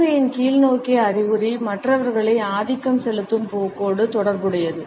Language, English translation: Tamil, A downwards indication of palm is associated with the tendency to dominate others